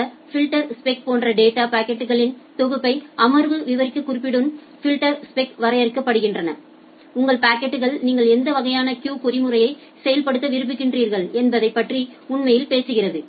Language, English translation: Tamil, And the filterspec together with the session specification defines the set of data packets like this filter spec actually talks about that what type of queuing mechanism you want to implement on your packet